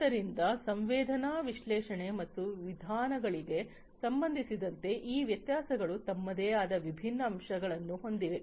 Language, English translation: Kannada, So, these differences with respect to sensing analytics and methodologies are with they have their own different facets